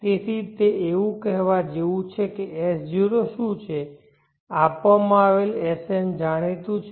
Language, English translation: Gujarati, So it is like saying that what is S0 the given Sn is known